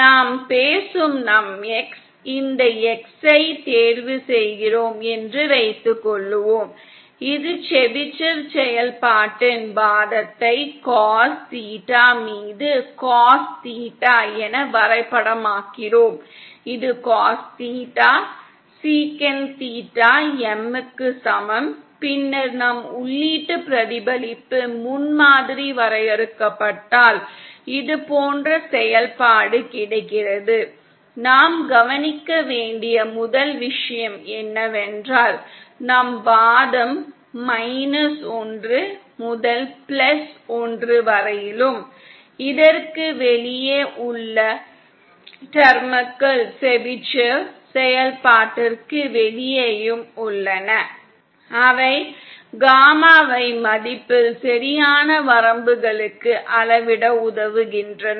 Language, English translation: Tamil, Suppose we choose our X, this X that we are talking about, which we are mapping the argument of the Chebyshev function as cos theta upon cos theta M which is equal to cos theta, sec theta M, then if we define our input reflection prototype function as, like this the first that we note is that our argument is between minus one to plus one and the terms which are outside this, which are outside the Chebyshev function are served to scale the gamma in value to the appropriate limits